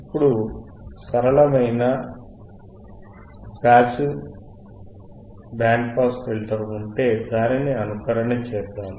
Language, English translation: Telugu, This is your simple passive band pass filter